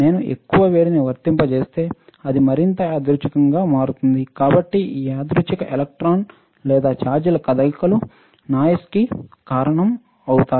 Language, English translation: Telugu, And if I apply more heat then it becomes even more random, so this random motion of the electron or the charges or cause would cause a noise ok